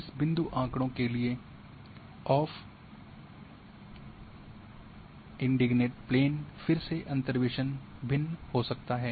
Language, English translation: Hindi, For this point data for off indignant plane again interpolation might be different